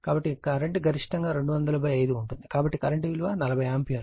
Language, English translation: Telugu, So, the current is maximum so 200 by 5, so current is 40 ampere right